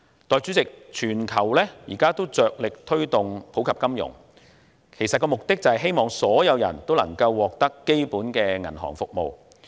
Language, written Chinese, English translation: Cantonese, 代理主席，現在全球都着力推動普及金融，目的是希望所有人都能夠使用基本的銀行服務。, Deputy President financial inclusion is now actively promoted throughout the world with an aim to allow everyone an access to basic banking services